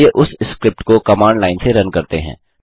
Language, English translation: Hindi, Let us run that script from command line